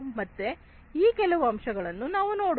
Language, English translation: Kannada, So, let us look at some of these different aspects